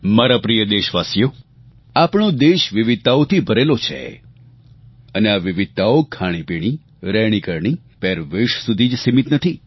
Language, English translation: Gujarati, My dear countrymen, our country is a land of diversities these diversities are not limited to our cuisine, life style and attire